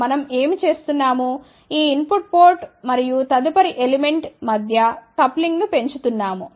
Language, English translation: Telugu, What we are doing we are increasing the coupling between the input port and the next element